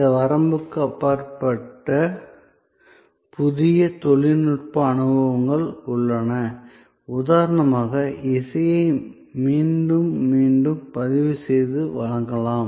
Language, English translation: Tamil, There are new technological experiences that can go beyond this limitation, so like for example, music can be recorded and delivered again and again